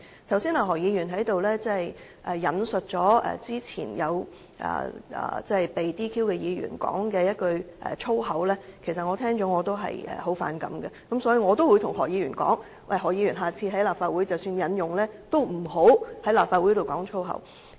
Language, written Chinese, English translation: Cantonese, 剛才何議員引述早前被撤銷資格的議員所說的一句粗言，我聽到後也非常反感，所以我也對何議員說，希望下次在立法會即使要加以引用，也不要公然在立法會粗言穢語。, Mr HO quoted a moment ago an abusive remark made by a Member who was disqualified earlier . I also find it repulsive after hearing that so I would like to ask Mr HO not to undisguisedly use abusive language in the Legislative Council next time even if he has to quote something in the Legislative Council